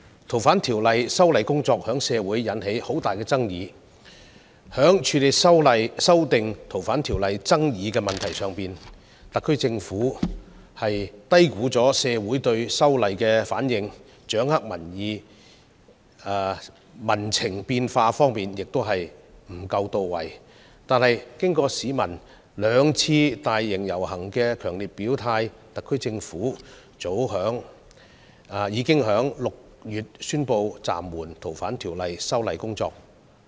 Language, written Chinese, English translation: Cantonese, 《逃犯條例》修訂工作在社會上引起很大爭議，在處理修訂《逃犯條例》的爭議方面，特區政府低估了社會的反應，掌握民情變化的工作亦不到位，但經過市民兩次大型遊行的強烈表態，特區政府早在6月宣布暫緩《逃犯條例》的修訂工作。, The exercise to amend the Fugitive Offenders Ordinance has caused great controversy in society . When handling the disputes arising from the exercise the HKSAR Government has underestimated the response of the society and its grasp of changes in public emotions has much room for improvement . However after the public had expressed their strong opposition to the amendments in the two major demonstrations the HKSAR Government announced in as early as June that it had suspended the amendment exercise on the Ordinance